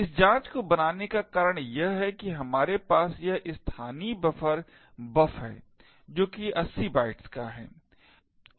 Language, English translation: Hindi, The reason we create this check is that we have this local buffer buf which is of 80 bytes